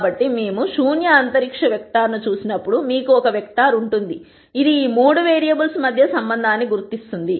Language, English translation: Telugu, So, when we look at the null space vector you will have one vector which will identify the relationship between these three variables